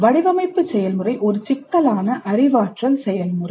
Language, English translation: Tamil, The design process itself is a complex cognitive process